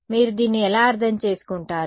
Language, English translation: Telugu, So, how do you interpret this